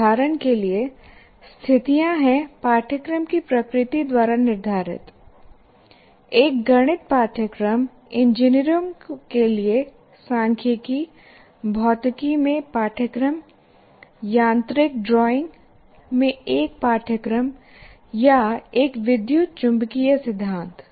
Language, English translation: Hindi, Obviously a mathematics course looking at, let us say, statistics for engineering, or a course in physics, or a course in mechanical drawing, or an electromagnetic theory course